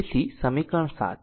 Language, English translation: Gujarati, So, this is equation 7